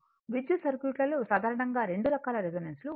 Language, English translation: Telugu, Generally 2 types of resonance in the electric circuits